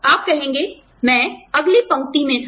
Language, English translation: Hindi, And, you will say, i was next in line